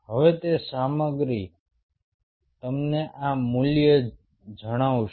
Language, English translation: Gujarati, now, that stuff will tell you this value